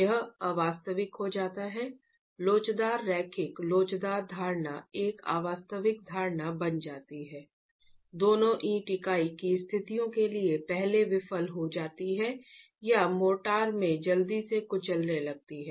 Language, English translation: Hindi, This becomes an unrealistic, the elastic, linear elastic assumption becomes an unrealistic assumption both for situations of the brick unit failing first or crushing happening in the motor early on